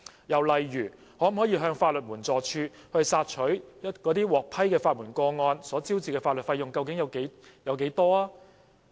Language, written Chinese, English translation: Cantonese, 又例如，可否向法律援助署查詢，獲批的法援個案所招致的法律費用有多少？, Is it possible for the Administration to make enquiries to the Legal Aid Department and ask about the legal costs incurred in the approved legal aid cases?